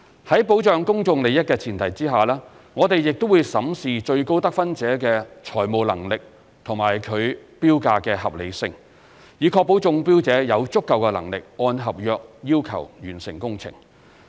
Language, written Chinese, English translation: Cantonese, 在保障公眾利益的前提下，我們亦會審視最高得分者的財務能力及其標價的合理性，以確保中標者有足夠能力按合約要求完成工程。, To protect the public interest we will also assess the financial capability of the tenderer with the highest overall score and the reasonableness of its bid so as to ensure that the successful tenderer is fully capable of completing the works in accordance with the terms of the contract